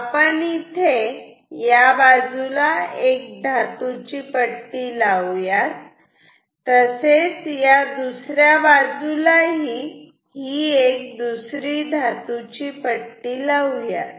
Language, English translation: Marathi, We can actually say put a metallic plate here on this side and similarly, another plate on that side ok